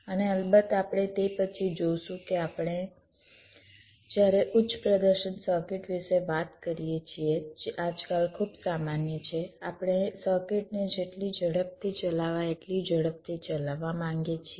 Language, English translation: Gujarati, and of course, we shall see later on that when we talk about high performance circuit, which are very common now a days, we want to run a circuit as fast as we can, which means the delay of the circuit